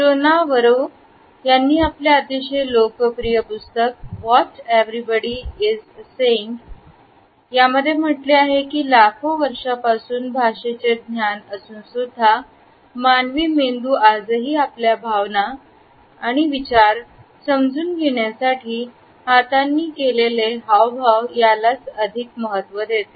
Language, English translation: Marathi, In fact, Joe Navarro who has authored a very popular book entitled, What Everybody is Saying has commented that despite having learnt language, over millions of years, human brain is still hardwired to actually, communicating our emotions and thoughts and sentiments with the help of our hands